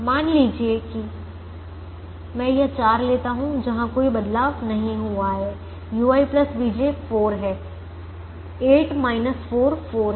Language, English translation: Hindi, suppose i take this four where no change has happened, u i plus v j is four